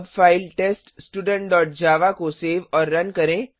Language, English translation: Hindi, Now save the file Student.java